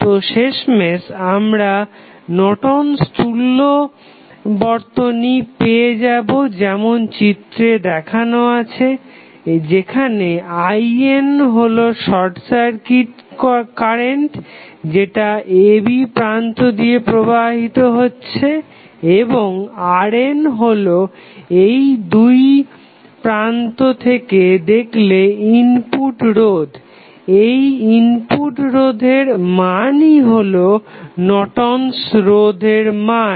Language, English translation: Bengali, So, finally, we will get the Norton equivalent and as shown in this figure, where I n is nothing but the short circuit current which is flowing through the terminal AB and the R n is the input resistance which you will see when you see the circuit and you see through these 2 terminals, the input resistance the value of that would be nothing but Norton's resistance